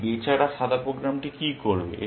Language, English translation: Bengali, What will this poor white program do